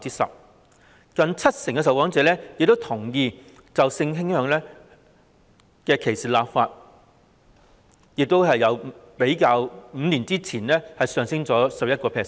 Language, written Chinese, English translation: Cantonese, 此外，有近七成受訪者同意就性傾向歧視立法，亦較5年前上升了 11%。, Besides nearly 70 % of the respondents agreed to legislate against sexual orientation discrimination representing also an increase of 11 % over that of five years ago